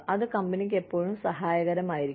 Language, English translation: Malayalam, Always helpful for the company